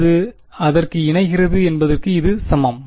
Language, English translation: Tamil, It is exactly equal to that it converges to that